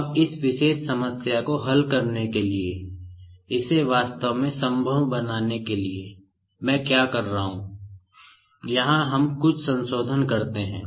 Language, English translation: Hindi, Now, to solve this particular problem to make it possible actually, what I do is, here we do some modification sort of thing